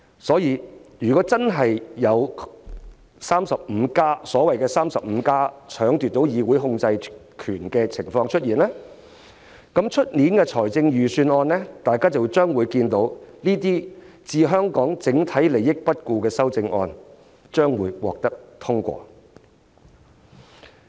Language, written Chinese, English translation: Cantonese, 所以，如果真的有所謂的 "35+"， 奪取議會控制權的情況出現，那麼在明年的財政預算案中，大家便會看到這些置香港整體利益不顧的修正案獲得通過。, Hence if the so - called 35 really succeeds and the control of the Council is seized these amendments contradictory to the overall interests of Hong Kong will be passed in the Budget next year